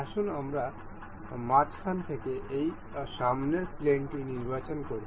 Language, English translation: Bengali, Let us select this front plane from the middle